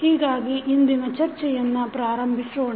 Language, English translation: Kannada, So, let us start the discussion of today’s lecture